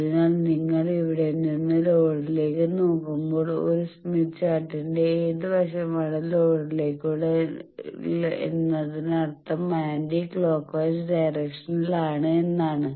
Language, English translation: Malayalam, So, that you look from here that towards load so which side in a smith chart towards load means anti clockwise